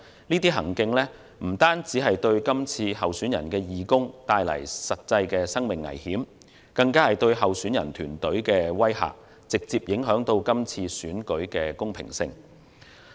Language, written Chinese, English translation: Cantonese, 這種行徑不單對候選人的義工構成實際的生命危險，更加是對候選人團隊的威嚇，直接影響今次選舉的公平性。, This has not only posed real life - threatening risks to these volunteers but also an intimidation to electioneering teams of candidates and will have a direct impact on the fairness of the upcoming election